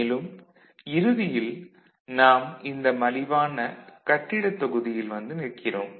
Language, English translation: Tamil, And, what comes at the end this inexpensive building block